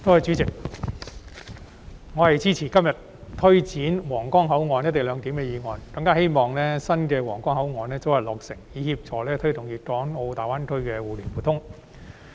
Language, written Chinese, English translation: Cantonese, 主席，我支持今天這項有關推展新皇崗口岸"一地兩檢"安排的議案，更希望新的皇崗口岸大樓早日落成，以協助推動粵港澳大灣區的互聯互通。, President I support todays motion on implementing co - location arrangement at the new Huanggang Port and I also hope that the construction of the new Huanggang Port building can be completed expeditiously so as to help promote connectivity in the Guangdong - Hong Kong - Macao Greater Bay Area